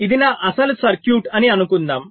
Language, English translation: Telugu, first, lets say this was my original circuit